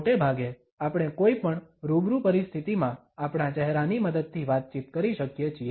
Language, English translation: Gujarati, Most of the times we are able to communicate with help of our face in any face to face situation